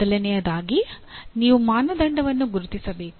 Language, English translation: Kannada, And first thing is you have to identify a criteria